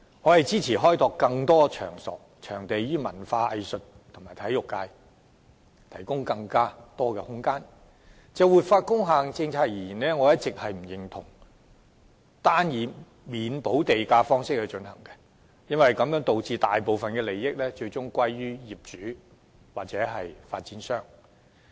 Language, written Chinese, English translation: Cantonese, 我支持開拓更多場地，讓文化藝術及體育界有更多發展空間，但卻一直不認同政府採取單以免補地價方式實施活化工廈政策，致使大部分利益最終歸於業主或發展商。, I am in support of developing more venues to provide more room for the development of the cultural arts and sports sectors but do not agree to the single approach of offering land premium waivers adopted by the Government in implementing the policy on revitalization of industrial buildings from which the property owners or developers benefited most in the end